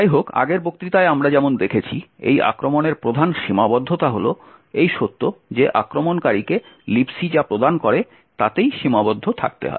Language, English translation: Bengali, However, as we seen in the previous lecture the major limitation of the return to libc attack is the fact that the attacker is constrained with what the libc offers